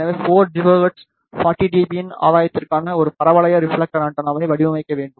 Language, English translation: Tamil, So, we have to design a parabolic reflector antenna for a gain of 40 dB at 4 gigahertz